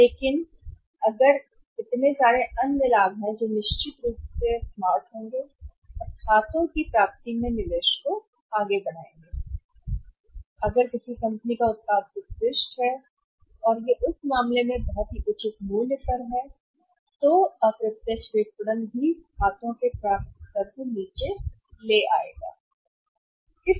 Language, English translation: Hindi, But there will be so many other benefits which will certainly out smart or outweigh the investment in accounts receivables and if a company's product is excellent and it very reasonable price in that case even under indirect marketing also the accounts receivables level can be brought down